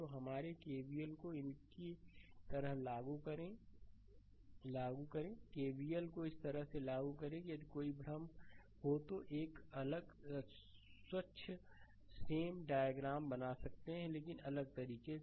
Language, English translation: Hindi, So, you apply your KVL like these right you have apply KVL like this, if you if you have any confusion I can I can draw a different diag neat same diagram, but in different way